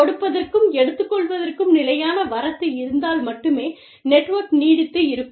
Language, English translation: Tamil, The network will only live, if there is constant inflow of, give and take